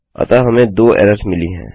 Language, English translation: Hindi, So we get two errors